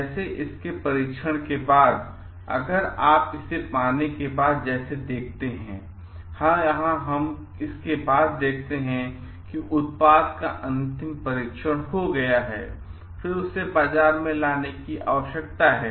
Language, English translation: Hindi, Like, after it is got tested, then if you see like after it is got; here we see that after it has got the final testing of the product then it needs to be coming to the market